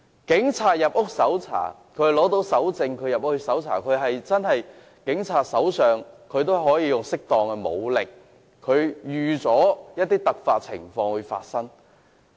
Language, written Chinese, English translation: Cantonese, 警察要獲得搜查令才能進入屋內搜查，他們可使用適當武力，亦預期會有突發情況發生。, Police officers must be granted a search warrant in order to conduct search in a residential unit . They may use an appropriate degree of force and they already expect that emergency situation may arise